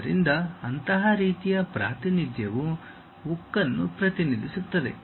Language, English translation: Kannada, So, such kind of representation represent steel